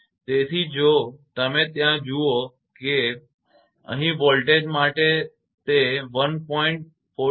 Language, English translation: Gujarati, So, if you see there, that here it is for voltage it is 1